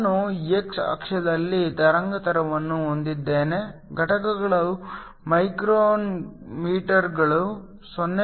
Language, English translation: Kannada, I have wavelength on x axis, the units is micrometers 0